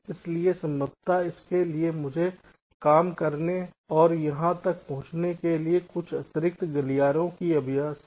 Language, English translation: Hindi, so for that, possibly, i will need some additional corridors for places to work and reach their approach